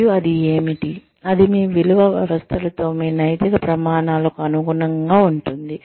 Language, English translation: Telugu, And what is it, that is, very much in line, with your ethical standards, with your value systems